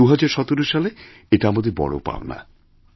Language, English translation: Bengali, So, this is our achievement in 2017